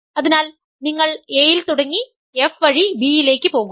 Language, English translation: Malayalam, So, f goes from A to B, g goes from B to A